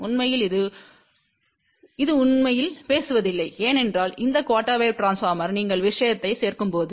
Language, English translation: Tamil, That is not really the case actually speaking because these quarter wave transformers when you keep adding one the thing